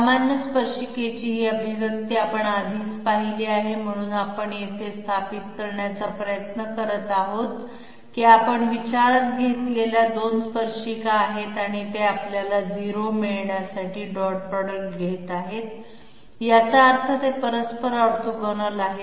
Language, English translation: Marathi, This expression of general tangent we already we have come across, so what we are trying to establish here is that there are basically two tangents that we are considering and they are dot producted to give us a 0, which means they are neutrally orthogonal that means they are perpendicular to each other